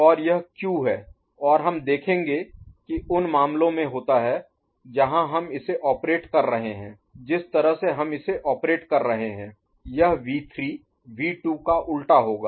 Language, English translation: Hindi, And this is Q and we shall see that it happens to be the cases, where we are operating it the way we operate it, this V3 will be inverse of V2